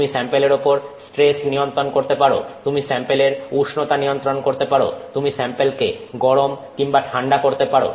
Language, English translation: Bengali, You can control a stress on the sample, you can control the temperature of the sample, you can heat the sample or cool the sample